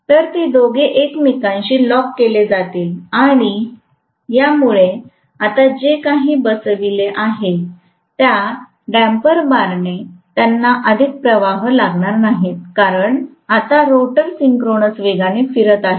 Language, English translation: Marathi, So, both of them are going to lock up with each other and because of which now the damper bars whatever they are sitting, they are not going to have any more currents, because now the rotor is rotating at synchronous speed